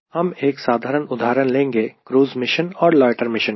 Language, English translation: Hindi, we will take simple example of a cruise mission and a loiter mission